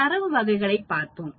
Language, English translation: Tamil, Let us look at Data Types